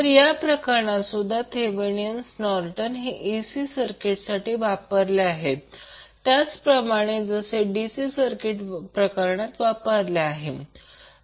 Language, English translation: Marathi, So, in this case also the Thevenin’s and Norton’s theorems are applied in AC circuit in the same way as did in case of DC circuit